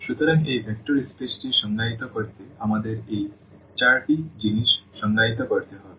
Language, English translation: Bengali, So, we need to define these four four things to define this vector space